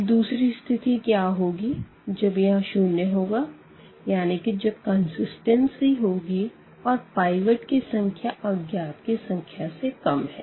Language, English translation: Hindi, And, now coming to the another possibility that if this is 0 means we have the consistency and the number of pivot elements is less than the number of unknowns